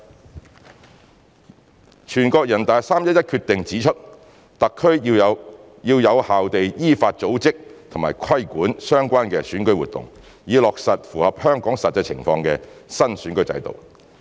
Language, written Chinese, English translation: Cantonese, 二全國人大在3月11日的《決定》指出，特區要有效地依法組織和規管相關的選舉活動，以落實符合香港實際情況的新選舉制度。, 2 The Decision of the NPC on 11 March stipulates that the HKSAR should effectively organize and regulate relevant electoral activities in accordance with law with a view to implementing the new electoral system that accords with the actual situation in Hong Kong